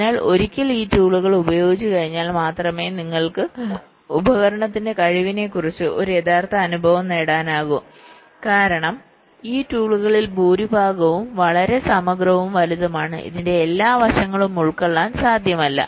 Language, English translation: Malayalam, so once we use this tools hands on, only then you can have a real feel of the capability of the tool, because most of this tools are pretty, compliance, even huge